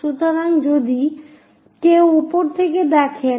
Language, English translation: Bengali, So, if someone looking from top